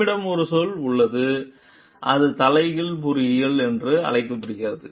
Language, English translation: Tamil, We have a term which is called Reverse Engineering